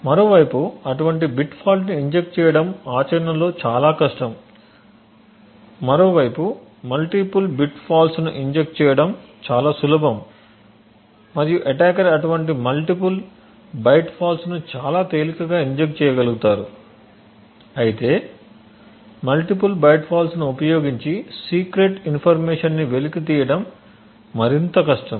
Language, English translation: Telugu, On the other hand actually injecting such a bit fault is extremely difficult in practice, on the other hand injecting multiple byte faults is much far more easier and the attacker would be able to inject such multiple byte faults far more easily however extracting secret information using a multiple byte fault is more difficult